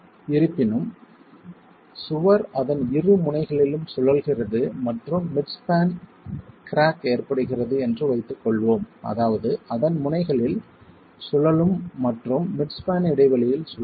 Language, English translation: Tamil, However, let's assume that the wall is rotating at both its ends and a mid span crack is also occurring which means it's rotating about its ends and rotating about the mid span